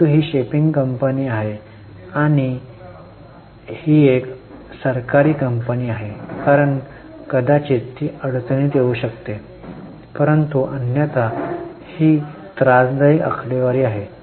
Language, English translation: Marathi, But because it's a shipping company and it's a government company it may not come in trouble but otherwise these are troublesome figures